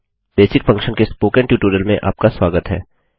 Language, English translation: Hindi, Welcome to the Spoken Tutorial on the Basic Function